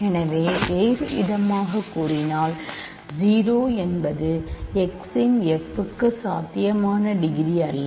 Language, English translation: Tamil, So, in other words 0 is not a possible degree for f of x ok